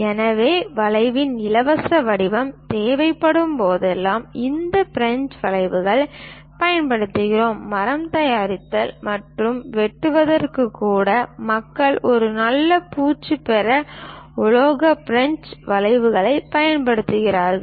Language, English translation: Tamil, So, whenever a free form of curve is required, we use these French curves; even for wood making and cutting, people use metallic French curves to get nice finish